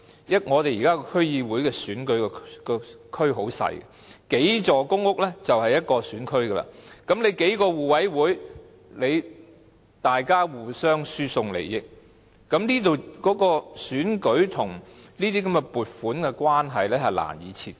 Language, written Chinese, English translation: Cantonese, 現時區議會選舉的選區很細小，數座公屋已是一個選區，數個互委會互相輸送利益，選舉跟這些撥款的關係難以切割。, The present constituencies of DC elections are very small . A few blocks of public housing already form a constituency . A few mutual aid committees may transfer benefits among themselves